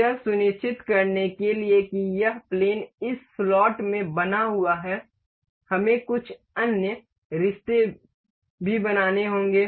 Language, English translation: Hindi, To make sure this plane remains in the this slot we need to make some other relation as well